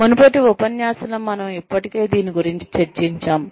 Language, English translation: Telugu, We have already discussed this, in a previous lecture